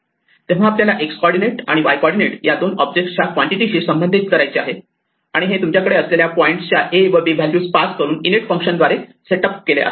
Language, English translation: Marathi, So, we want to associate with such an object two quantities the x coordinate and the y coordinate and this is set up by the init function by passing the values a and b that you want point to have